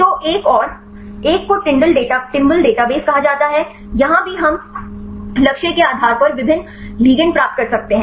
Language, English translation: Hindi, So, is another one is called the timbal database, here also we can get the different ligands based on the target